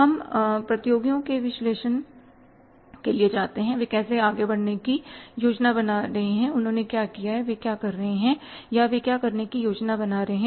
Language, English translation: Hindi, We go for the competitors analysis that how they are planning to move forward but they have done and what they are doing or what they are planning to do